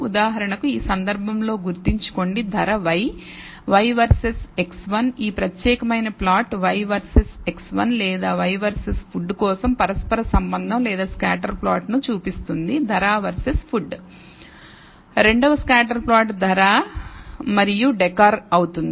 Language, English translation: Telugu, For example, in this case remember price is y, y versus x 1 this particular plot shows the correlation or the scatter plot for y versus x 1 or y versus food, price versus food